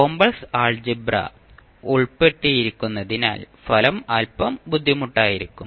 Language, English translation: Malayalam, But since we have a complex Algebra involved, the result may be a little bit cumbersome